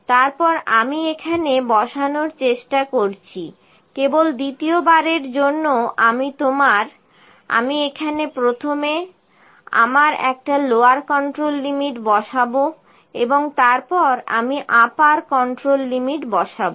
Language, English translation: Bengali, Then I am trying to put; I am trying to put here your just a second time to put a my lower control limit here first then I will put my upper control limit